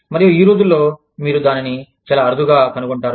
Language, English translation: Telugu, And, these days, you rarely find that